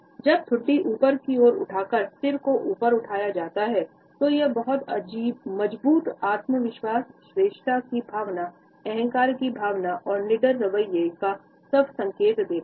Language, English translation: Hindi, When the head is lifted high with the chin jetted out then it suggest a very strong self confidence, a feeling of superiority, a sense of arrogance even and at the same time a fearless attitude